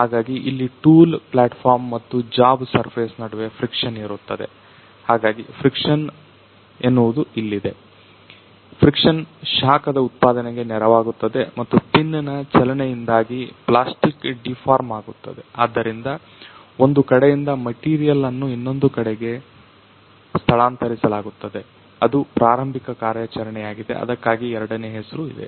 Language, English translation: Kannada, So, this; there is a friction between the platform of the tool and the job surface that is why the term is the friction is there, friction is aiding the generation of the heat and there is a plastic deformation because of the movement of the pin so that material from one side gets moved to the other one so, that is the starting operation so, that is why the second name is there